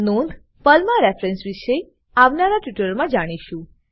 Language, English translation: Gujarati, Note: Reference in Perl will be covered in subsequent tutorial